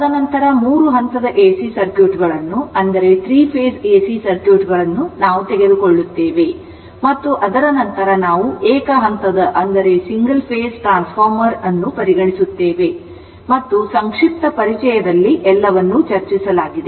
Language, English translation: Kannada, And then, we will take that your three phase AC circuits and after that, we will consider single phase transformer and I and in the brief introduction, everything has been discussed